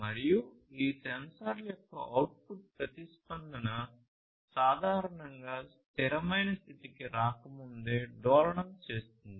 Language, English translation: Telugu, And this output response of these sensors will typically oscillate before the steady state right